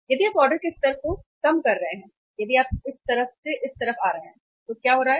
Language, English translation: Hindi, If you are if you are reducing the level of orders, if you are coming from this side to this side what is happening